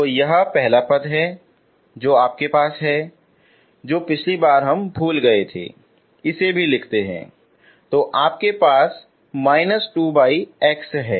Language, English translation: Hindi, So this is one so the first term so what you have is so the last time which we missed this if you write it also you have minus 2 by x